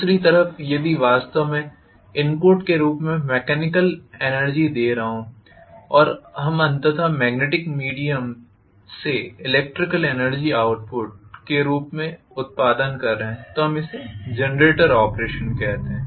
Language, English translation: Hindi, On the other hand, if I am actually giving mechanical energy as the input and we are going to have ultimately electrical energy as the output through the magnetic via media again, we call this as the generator operation